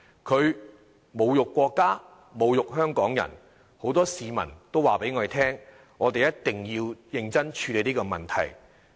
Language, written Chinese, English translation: Cantonese, 他侮辱國家，侮辱香港人，很多市民向我們表示，我們一定要認真處理這個問題。, He insulted the country insulted Hong Kong people and many members of the public have told us that we must deal with this issue in earnest